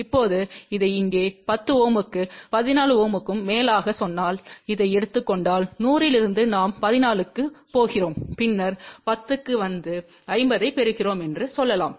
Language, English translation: Tamil, Now, suppose if you take this as let say 10 Ohm over here and 14 Ohm over here, so let say then from 100 we are going to 14, then coming to 10 and then getting 50